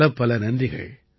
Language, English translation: Tamil, I thank you